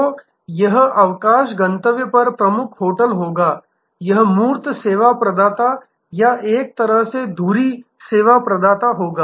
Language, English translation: Hindi, So, this will be that major hotel at the holiday destination, this will be the core service provider or in a way the hub service provider